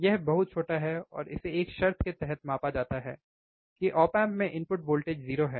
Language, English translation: Hindi, It is extremely small um, and it is measured under a condition that input voltage to the op amp is 0, right